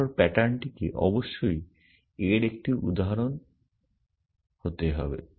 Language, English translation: Bengali, Then the pattern must be an instance of that essentially